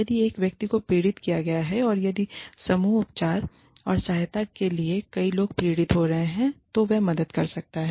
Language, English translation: Hindi, If one person has been victimized, and if a number of people have been victimized, when group treatment and support, can help